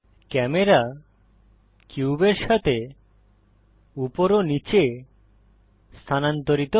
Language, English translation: Bengali, The camera moves up and down alongwith the cube